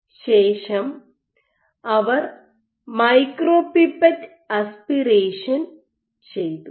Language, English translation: Malayalam, So, they then did micropipette aspiration ok